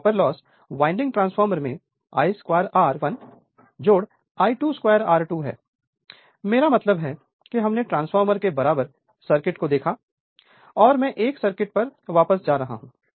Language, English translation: Hindi, So, copper loss in the 2 winding transformer are I 2 square R 1 plus I 2 square R 2, I mean we have seen the equivalent circuit of the transformer and I am going back to 1 circuit right